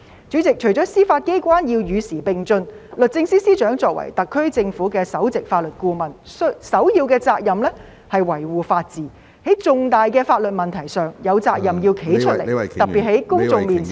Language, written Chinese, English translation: Cantonese, 主席，除了司法機關要與時並進外，律政司司長作為特區政府的首席法律顧問，首要的責任是維護法治，在重大的法律問題上有責任站出來，特別是在公眾面前......, President apart from the need for the Judiciary to keep abreast of the times the Secretary for Justice being the principal legal adviser to the Government of the Hong Kong Special Administrative Region SAR has the primary responsibility to uphold the rule of law and is duty - bound to stand up for major legal issues especially before the public